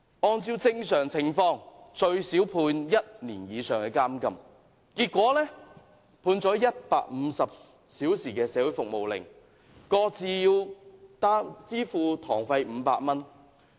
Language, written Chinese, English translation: Cantonese, 按照正常情況，他們最少會被判處1年以上的監禁，結果判了150小時社會服務令，各自支付500元堂費。, Under normal circumstances they should be sentenced to a minimum of one - year imprisonment but it turned out that they were only sentenced to 150 hours of community service and payment of court costs of 500 each